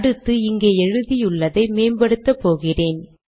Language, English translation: Tamil, Then, now I am going to improve the writing here